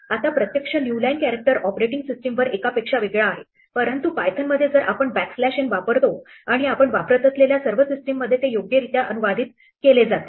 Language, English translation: Marathi, Now, the actual new line character differs on operating systems from one to the other, but in python if we use backslash n and it will correctly translated in all the systems that you are using